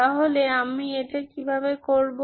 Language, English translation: Bengali, So how do I do this